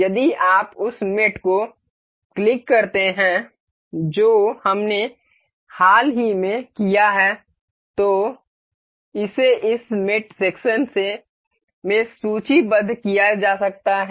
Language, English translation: Hindi, If you click the mating the recent mate that we have done it can be is listed here in this mate section